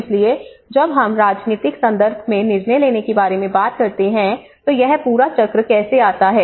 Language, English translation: Hindi, So when we talk about the decision making in a political context, how this whole cycle comes